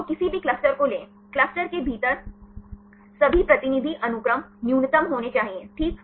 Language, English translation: Hindi, So, take any clusters, all the representative sequences within the clusters right there should be the minimum, fine